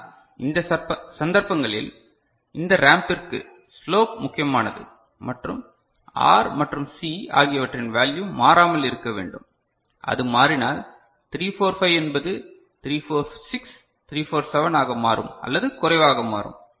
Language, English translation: Tamil, But, as I said that in these cases, this ramp, the slope is key and the value of R and C is something need to remain constant, if that varies then 345 will becomes 346, 347 or you know less ok